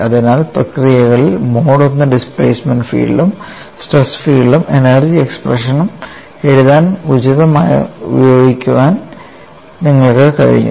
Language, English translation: Malayalam, So, in the processes, you have been able to utilize the mode one displacement field as well as the stress field, appropriately used in writing the energy expression